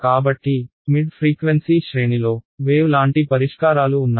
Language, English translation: Telugu, So, the mid frequency range has wave like solutions ok